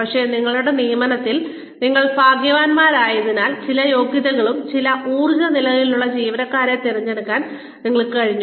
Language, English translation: Malayalam, But, because you have been lucky with your hiring, you have been able to hire, to select employees with certain qualifications, certain energy levels